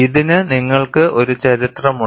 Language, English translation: Malayalam, And you have a history for this